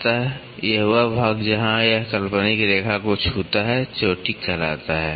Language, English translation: Hindi, So, this portion where it is touching the imaginary line it is called as the crest